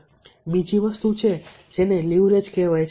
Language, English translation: Gujarati, now, another thing is that is called leverage